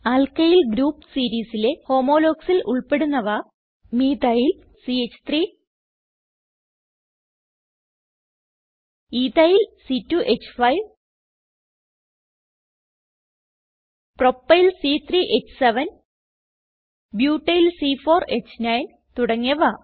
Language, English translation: Malayalam, Homologues of the Alkyl group series include, Methyl CH3 Ethyl C2H5 Propyl C3H7 Butyl C4H9 and so on